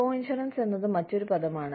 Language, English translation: Malayalam, Coinsurance is another term